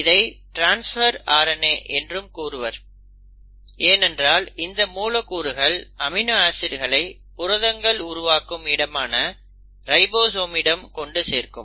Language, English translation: Tamil, It is also called as transfer RNA because this molecule will actually bring in the amino acids to the ribosome, the site of protein synthesis